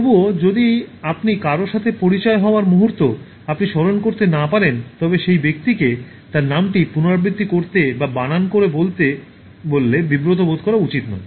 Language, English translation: Bengali, But still, if you cannot remember the moment you are introduced to someone, you should not feel embarrassed to ask the person to repeat her name or spell it for you